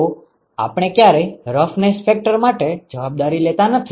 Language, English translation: Gujarati, So, we never accounted for the roughness factor